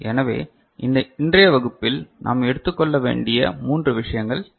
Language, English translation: Tamil, So, these are the three things that we shall take up in today’s class